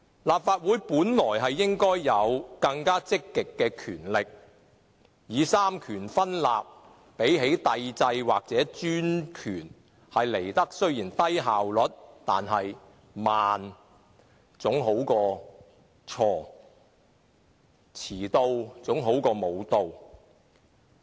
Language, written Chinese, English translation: Cantonese, 立法會本應有更積極的權力，雖然三權分立比帝制或專權的效率為低，但慢總比錯好，遲到總比不到好。, The Legislative Council should be endowed with more proactive powers . Though the model of separation of powers may be less efficient than monarchy or dictatorship yet slow is better than wrong and late is better than never